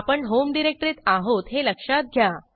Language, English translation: Marathi, Remember that we are in the home directory